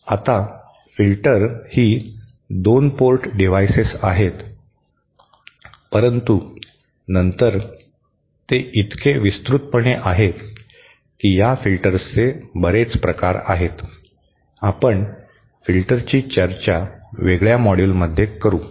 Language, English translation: Marathi, Now filters are 2 port devices but then since they are so extensively, there is so much variety of these filters, we shall be devoting the discussion of filters to a separate module